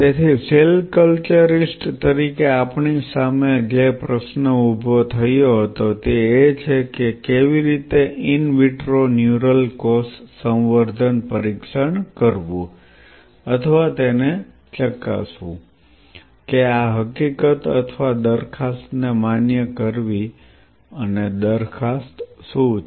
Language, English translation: Gujarati, So, the question posed question which was posed in front of us as cell culturist is how to perform an in vitro neural cell culture assay, to test this or validate this fact or proposal and what is the proposal